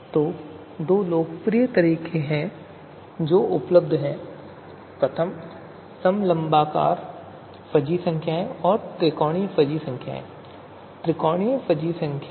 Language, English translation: Hindi, So they’re two popular forms that are available are trapezoidal fuzzy numbers and triangular fuzzy numbers